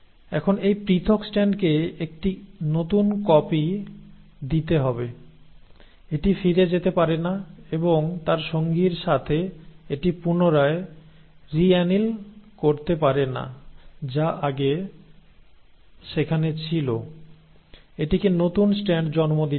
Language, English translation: Bengali, So, now this separated strand has to give a new copy, it cannot go back and reanneal with its partner which was there earlier, it has to give rise to new strand